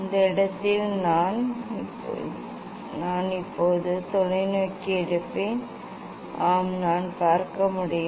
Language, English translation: Tamil, I will take the telescope now at this point, yes, I can see